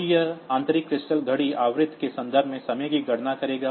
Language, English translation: Hindi, So, it will count time in terms of the internal crystal clock frequency